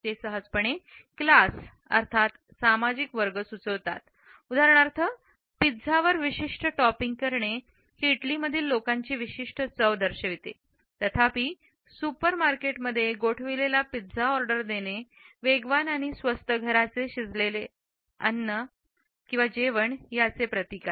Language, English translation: Marathi, They easily suggest class for example, a particular topping on a pizza signifies a taste in Italy whereas, ordering a frozen pizza in a supermarket signifies a fast and cheap home cooked meal